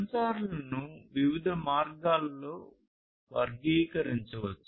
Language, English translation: Telugu, The sensors could be classified in different, different ways